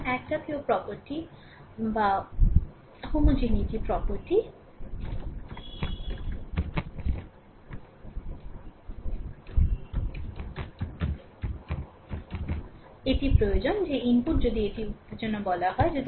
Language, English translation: Bengali, So, homogeneity property it requires that if the inputs it is called excitation